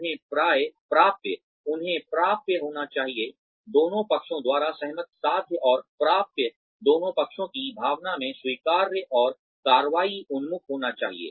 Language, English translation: Hindi, They should be attainable, agreed upon by both parties, achievable and attainable, acceptable in spirit to both parties, and action oriented